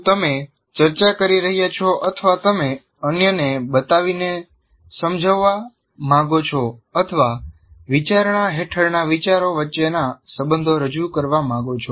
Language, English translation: Gujarati, Are you discussing or are you trying to, you want to show your understanding to others, or the teacher wants to present the relationships between the ideas that are under consideration